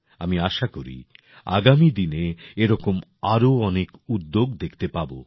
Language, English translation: Bengali, I hope to see many more such efforts in the times to come